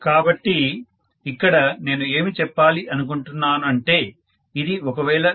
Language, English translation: Telugu, So what I am trying to say here is, if it is 220 V by 2